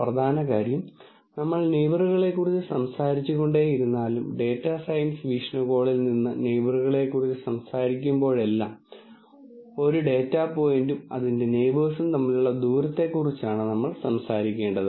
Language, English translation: Malayalam, The key thing is that because we keep talking about neighbors, and from a data science viewpoint whenever we talk about neighbors, we have to talk about a distance between a data point and its neighbor